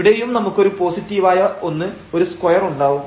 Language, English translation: Malayalam, So, here we have something positive and here also we will have positive this is a square there